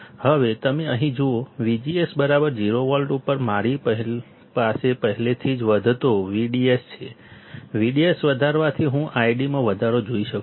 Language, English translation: Gujarati, Now you see here, at V G S equals to 0 volt I already have an increasing V D S, on increasing V D S, I will see increase in I D